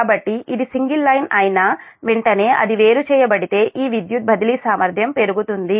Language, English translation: Telugu, so as soon as it will be single line, it is isolated, this power transfer capability will increase